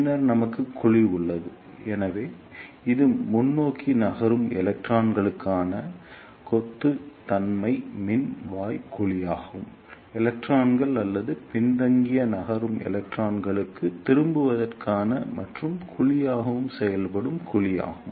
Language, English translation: Tamil, Then we have the cavity, so this is the cavity which acts as buncher cavity for forward moving electrons, and catcher cavity for returning electrons or backward moving electrons